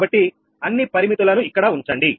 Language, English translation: Telugu, so put all this parameters here